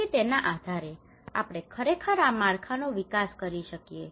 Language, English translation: Gujarati, So based on that we can actually develop these framework